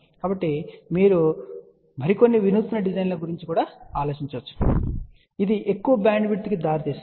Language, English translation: Telugu, So, you can think aboutsome more innovative design, which will lead to larger bandwidth